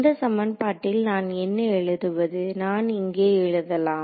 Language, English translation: Tamil, So, in the equation form what will I write it as, I will maybe I can write it over here now